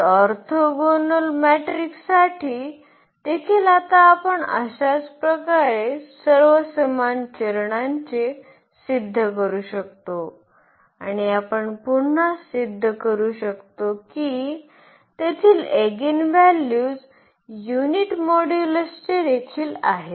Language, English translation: Marathi, So, for orthogonal matrices also now we can prove thus the similar all absolutely all same steps here and we can again prove the there eigenvalues are also of unit modulus